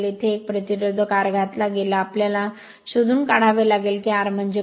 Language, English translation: Marathi, So, a resistance R had been inserted here, we have to find out, what is the R